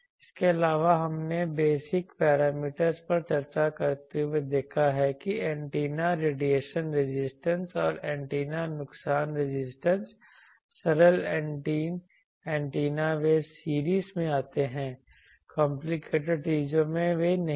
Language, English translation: Hindi, Also we have seen I think the next, we have seen this while discussing basic parameters that antennas radiation resistance and antennas loss resistance, they for simple antennas they come in series in complicated things they are not